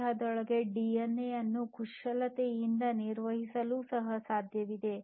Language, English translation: Kannada, It is also possible to basically manipulate the DNA within a body